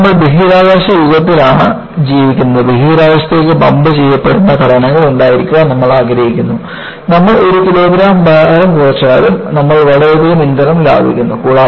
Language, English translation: Malayalam, See, now, we are living in a space age and we want to have structures that, are pumped into space, even if you reduce 1 kilogram of weight, you save enormous amount of fuel